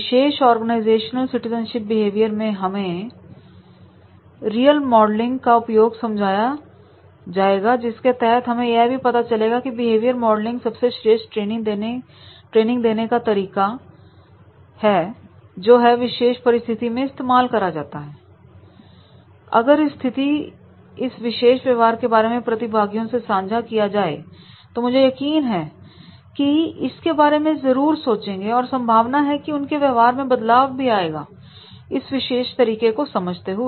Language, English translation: Hindi, And in this particular organizational citizenship behavior this behavior modeling that is what will work in this particular organization that behavior modeling will be the best training method which will be used in that particular situation and if this is the situation this is a particular behavior and this has been discussed with the participants, I am sure that they may think about it and there might be a chances of change in behavior by understanding this particular method